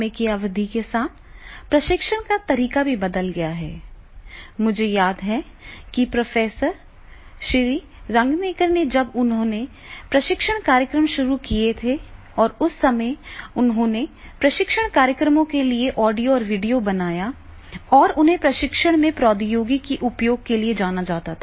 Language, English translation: Hindi, I remember that is Professor Sri Ranganaker when he has started training programs and that time he has made the audio and video for the training programs and he was known for the use of technology in training